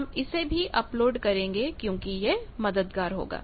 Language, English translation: Hindi, This we will also be uploading this will be helpful in that